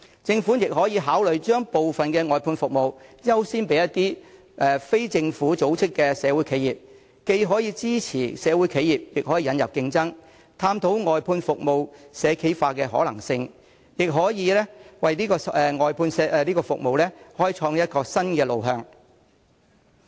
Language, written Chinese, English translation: Cantonese, 政府也可以考慮把部分外判服務合約優先批予非政府組織的社會企業，既可支持社會企業，亦可引入競爭，探討外判服務社企化的可能性，也可以為外判服務開創新路向。, The Government can also consider giving priority to social enterprises which are non - governmental organizations when awarding certain outsourced service contracts . Such an approach will not only support social enterprises but also introduce competition . It can explore the possibility of creating a trend of outsourcing services to social enterprises and create new directions for outsourcing of services